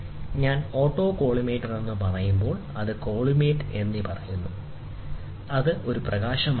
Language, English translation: Malayalam, So, when I say auto collimator, so moment I say colli, so then that has to be a light